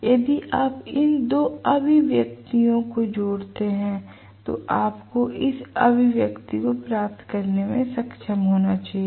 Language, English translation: Hindi, So, if you combine these 2 expressions I am sure you should be able to derive this expression